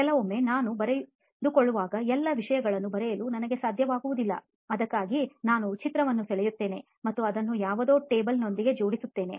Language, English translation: Kannada, Sometimes when I write, what happens when I write messages, then I do not have time to write all the things in short time, then I draw a picture and connect it with something table and all so that it can be easily accessible